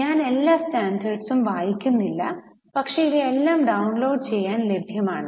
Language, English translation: Malayalam, I am not reading out all the standards but all these are available for downloading